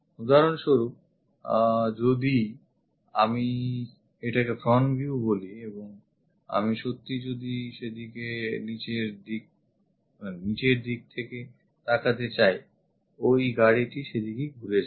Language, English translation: Bengali, For example if I am calling this one as a front view and from bottom of that car if I want to really look at that car turns out to be in that way